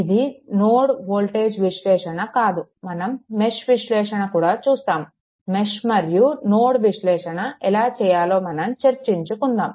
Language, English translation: Telugu, This is not a node voltage analysis we will see mesh analysis also and then the then here we will apply mesh and we will apply node we will discuss those things right